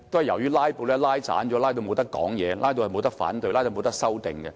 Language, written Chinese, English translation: Cantonese, 由於"拉布"，議員不能發言、不能反對、不能修訂。, Owing to filibusters Members did not have the opportunity to express their views voice objection or make amendments